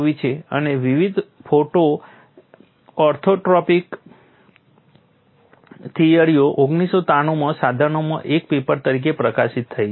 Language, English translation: Gujarati, This has been achieved and the various photo orthotropic theories have appeared as a paper in Sadhana in 1993